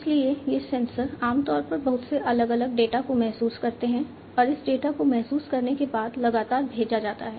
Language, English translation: Hindi, So, these sensors typically sense lot of different data and this data are sent continuously after they are being sensed